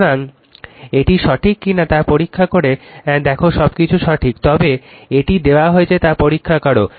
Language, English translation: Bengali, So, you check whether it is correct or not this is everything is correct, but you check this is given to you right